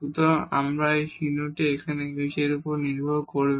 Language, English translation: Bengali, So, the sign will depend on now this h